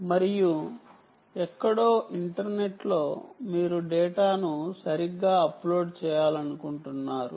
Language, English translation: Telugu, and somewhere in the onto the internet, you want to upload the data, right